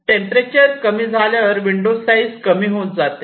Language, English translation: Marathi, ok, so window size shrinks as the temperature decreases